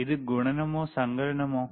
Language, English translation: Malayalam, Is it multiplication or addition